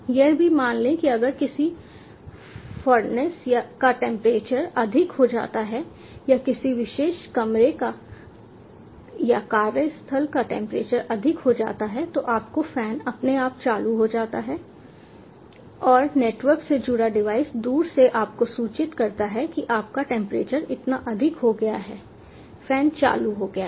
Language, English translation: Hindi, suppose if the temperature of a furness gets higher or if a temperature of a particular room or work place gets higher, your fan automatically turns on and the network connected device remotely intimates you that your temperature is going high